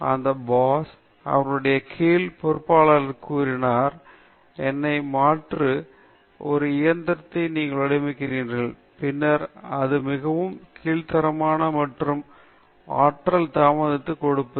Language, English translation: Tamil, That’s the boss telling his subordinates, you design a machine which will replace me; then, it gives so much kick and energy to the subordinate okay